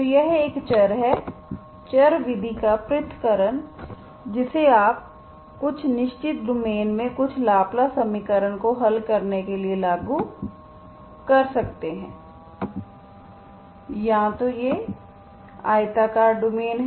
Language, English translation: Hindi, So this way, this is the variable separation of variables method which you can apply to solve certain Laplace equation in certain domains, either it's a rectangular domain